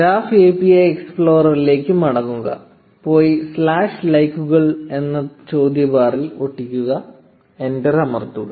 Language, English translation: Malayalam, Go back to the graph API explorer and paste it in the query bar followed by slash likes, press enter